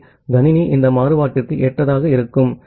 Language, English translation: Tamil, So, the system will get adapted to this variation